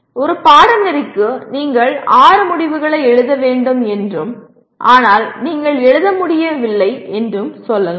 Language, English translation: Tamil, Let us say you are required to write six outcomes for a course and you are not able to write